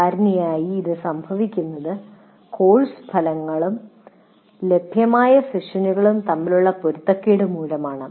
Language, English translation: Malayalam, So one is mismatch between the course outcomes and the available sessions